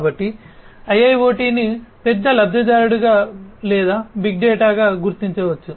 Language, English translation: Telugu, So, IIoT can be recognized as a big benefactor or big data